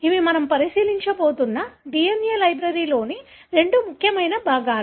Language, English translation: Telugu, So, these are two important components of a DNA library that we are going to look into